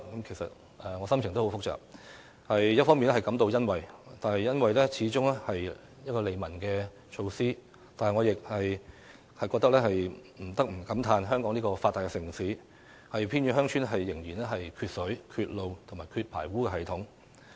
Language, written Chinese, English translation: Cantonese, 其實我的心情很複雜，一方面感到欣慰，因為這始終是利民措施，但我亦不得不感嘆在香港這個發達城市，偏遠鄉村仍然缺水、缺路、缺排污系統。, I actually have mixed feelings . On the one hand I am gratified because this is a measure that benefits the people after all but on the other hand I cannot help but bemoan the fact that water roads and sewerage systems are still lacking in remote villages in Hong Kong a developed city